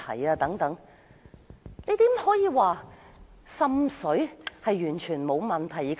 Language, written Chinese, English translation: Cantonese, 可是，怎能說滲水完全沒有問題？, How could they say that it was perfectly fine to have seepage problem?